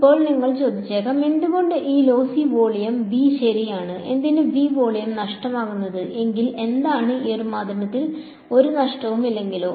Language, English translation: Malayalam, Now you might ask why this lossy volume V right, why should the volume V lossy, what if the; what if there was no loss in this medium